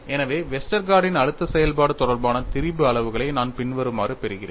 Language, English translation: Tamil, So, I get strain quantities related to the Westergaard's stress function as follows; it is quite long, please take some time to write this up